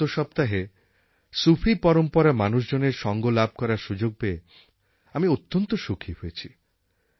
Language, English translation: Bengali, Sometime back, I had the opportunity to meet the scholars of the Sufi tradition